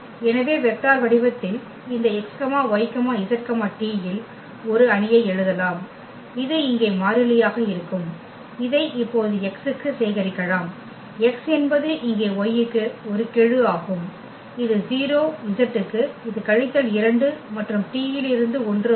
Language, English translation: Tamil, So, we can write down in a matrix in this vector form x, y, z, t will be this mu 1 the constant here and this we can collect now for x, x is one the coefficient here for y it is 0, for z it is minus 2 and from t it is 1